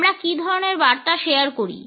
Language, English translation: Bengali, What are the types of messages we share